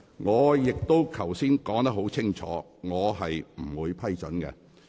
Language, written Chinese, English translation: Cantonese, 我剛才已經說得很清楚，我不會批准有關議案。, I have already made it very clear just now that I will not give permission to the moving of the motion